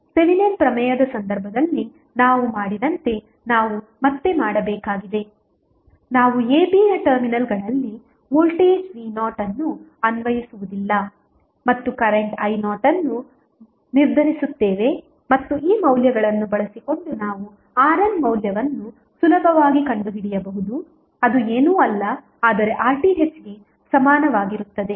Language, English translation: Kannada, We have to again as we did in case of Thevenin's theorem here also we will apply voltage v naught at the terminals of a, b and determine the current i naught and using these value we can easily find out the value of R N which is nothing but equal to R Th